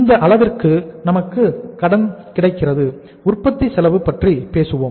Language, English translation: Tamil, This much credit is available to us and then we will be talking about the manufacturing cost